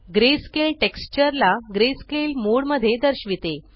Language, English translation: Marathi, Greyscale displays the textures in greyscale mode